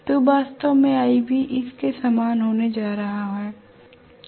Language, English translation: Hindi, So I am going to have actually ib similar to this